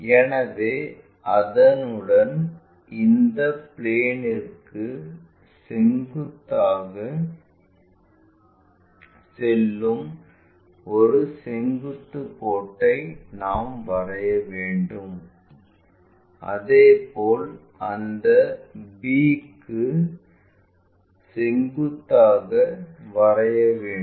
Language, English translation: Tamil, So, along that we have to draw a vertical line which is passing perpendicular to this plane, similarly perpendicular to that b